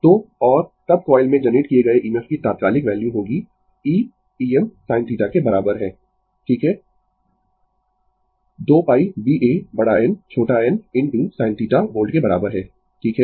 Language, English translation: Hindi, So, and instantaneous value of EMF generated in the coil will be then e is equal to E m sin theta right is equal to 2 pi B A capital N small n into sin theta volts, right